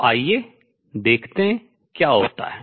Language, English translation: Hindi, So, let us see what happens